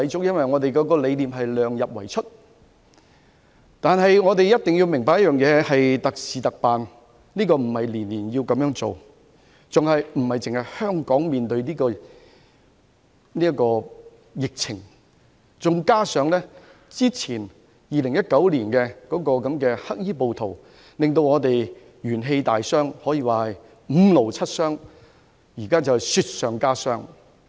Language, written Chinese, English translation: Cantonese, 因為這條文的理念是量入為出，但我們一定要明白這是特事特辦，不是每年都這樣做，還有的是香港不單正面對疫情，加上2019年"黑衣暴徒"令我們元氣大傷，可說是五勞七傷，現在是雪上加霜。, But we must understand that these are extraordinary measures taken in extraordinary times not something that we do every year . What is more Hong Kong now faces not only the epidemic . The black - clad rioters in 2019 had dealt a severe blow to us